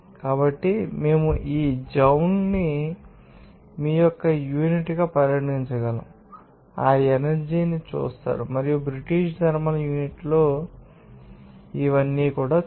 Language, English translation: Telugu, So, we can regarded this joule as a unit of you will see that energy and in British thermal unit it is you know that